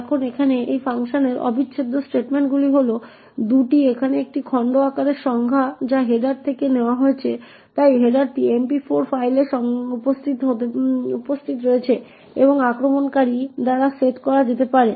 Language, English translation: Bengali, Now the integral statements in this function over here are these 2 here it is definition of chunk size which is taken from the header, so the header is present in the MP4 file and could be set by the attacker